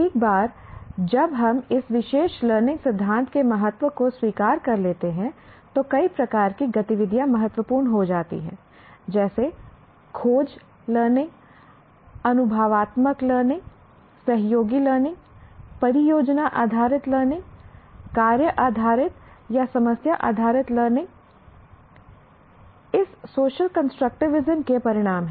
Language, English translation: Hindi, Once we accept the importance of this particular learning theory, several types of activities become important, like what we call discovery learning, hands on learning, experiential learning, collaborative learning, project based learning, task based or problem based learning, hands on learning, experiential learning, collaborative learning, project based learning, task based or problem based learning are the consequences of this social constructivism